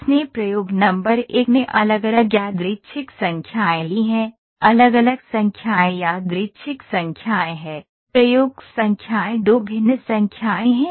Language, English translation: Hindi, It has taken different random numbers an experiment number 1 different numbers random numbers are taken; experiment number 2 different numbers have taken what is experiment number 1